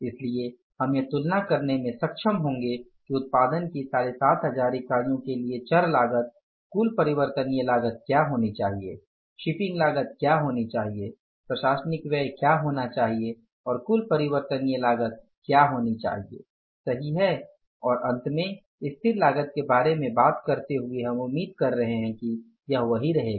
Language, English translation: Hindi, So, we will be able to compare that for the 7,500 units of the production what should be the variable cost, total variable cost, what should be the shipping cost, what should be the administrative expenses and what should be the total variable cost